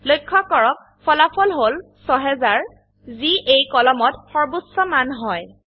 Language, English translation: Assamese, Notice, that the result is 6000, which is the maximum value in the column